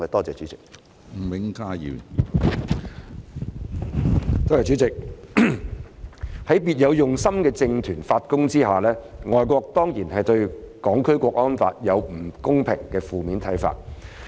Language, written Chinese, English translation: Cantonese, 主席，在別有用心的政團發功下，外國當然對《香港國安法》有不公平的負面看法。, President due to efforts made by political groups with ulterior motives foreign countries certainly hold unfair and negative views on the National Security Law